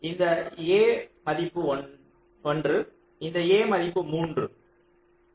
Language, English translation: Tamil, this a is one and this a is three